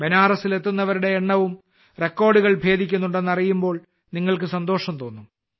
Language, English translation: Malayalam, You would also be happy to know that the number of people reaching Banaras is also breaking records